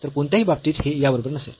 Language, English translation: Marathi, So, in any case this is not equal to this one